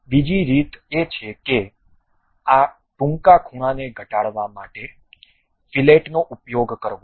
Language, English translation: Gujarati, The other way is use fillet to really reduce this short corners